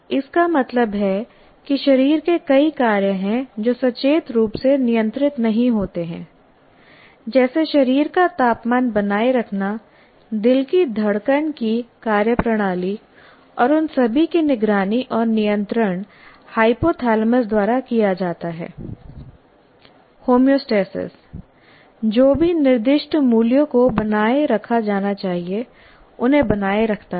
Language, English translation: Hindi, That means there are several body functions which are not consciously controlled like maintaining the body temperature, functioning of heartbeat, whatever you call it, heartbeats and all that are monitored and controlled by hypothalamus